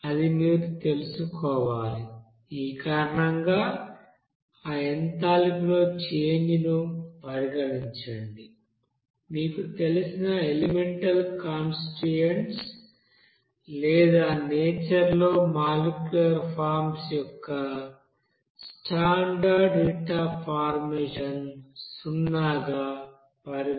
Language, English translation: Telugu, So you have to you know, consider that enthalpy change because of this, you know elemental constituents or this you know molecular you know form in the nature that will be you know considered as a heat of formation of zero